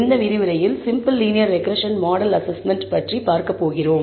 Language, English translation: Tamil, In this lecture, we are going to look at simple linear regression model assessment